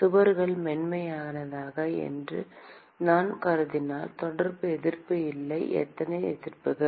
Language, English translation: Tamil, If I assume that the walls are smooth, there is no contact resistance, how many resistances